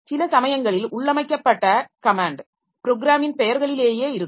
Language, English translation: Tamil, Sometimes the commands built in, sometimes just names of programs